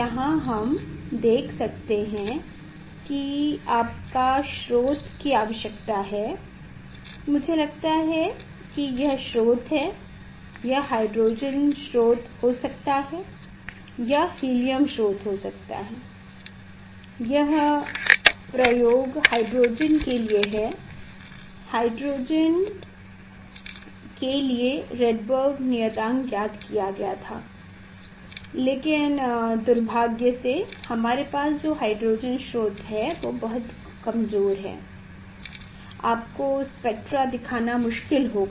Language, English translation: Hindi, here you can see you need source; you need source I think this is the source, it can be hydrogen source; it can be helium source, this experimental is for hydrogen, Rydberg constant was found for hydrogen, But, unfortunately we have hydrogen source, but it is very weak it will be difficult to show you the spectra